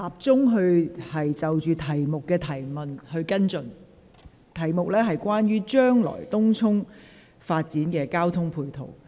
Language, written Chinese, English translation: Cantonese, 主體質詢的主題關乎將來東涌發展的交通配套。, The subject of this main question is related to the transport facilities necessary for the future development of Tung Chung